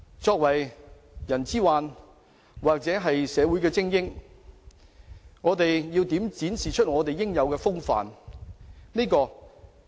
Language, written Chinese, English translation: Cantonese, 作為社會精英，我們要展示出應有的風範。, As an elite group in society we must have the stature expected